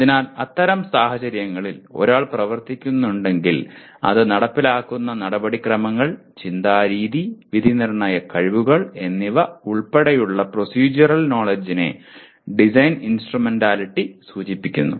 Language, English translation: Malayalam, So in such situation if one is operating, the design instrumentality refers to procedural knowledge including the procedures, way of thinking and judgmental skills by which it is done